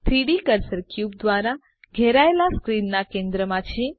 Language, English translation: Gujarati, The 3D cursor is right at the centre of the screen surrounded by the cube